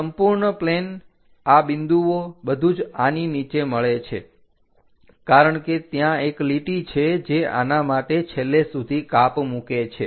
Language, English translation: Gujarati, This entire plane these points everything mapped under this one, because there is a line which is going as a cut all the way down for this